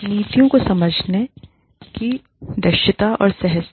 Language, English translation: Hindi, Visibility and ease of understanding the policies